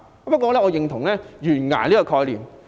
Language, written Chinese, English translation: Cantonese, 不過，我認同"懸崖"這個概念。, Nonetheless I concur with the concept of a cliff